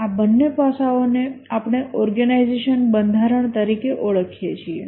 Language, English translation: Gujarati, These two aspects we call as the organization structure